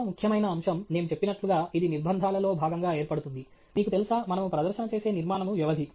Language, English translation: Telugu, The other important aspect, as I mentioned, which forms part of the constraints which sets, you know, the framework within which we make the presentation is the duration